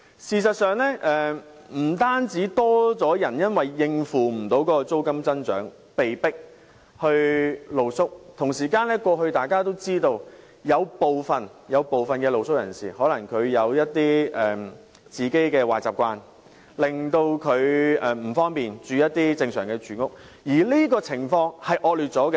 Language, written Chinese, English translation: Cantonese, 事實上，不但有更多人因無法應付租金增長而被迫露宿，同時大家也知道，以往有部分露宿人士可能因其個人的壞習慣而不便於正常居所居住，而這種情況已變得更惡劣。, In fact not only are more people being forced to sleep on the street because they cannot afford the rent increase as Members may know the situation has worsened for street - sleepers who considered it unsuitable to live in a regular home due to personal habits